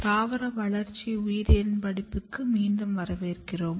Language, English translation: Tamil, Welcome back to the course of Plant Developmental Biology